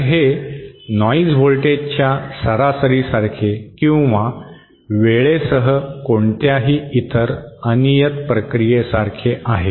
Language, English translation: Marathi, So it is like the average of noise voltage or any other random process with time